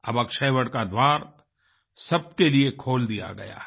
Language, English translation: Hindi, Now the entrance gate of Akshayavat have been opened for everyone